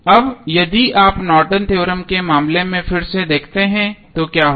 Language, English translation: Hindi, Now, if you see again in case of Norton's Theorem what will happen